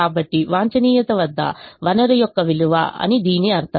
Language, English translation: Telugu, so it it means the worth of the resource at the optimum